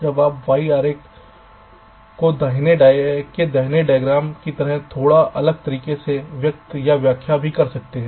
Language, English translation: Hindi, now this y diagram can also be expressed or interpreted in a slightly different way, as the diagram on the right shows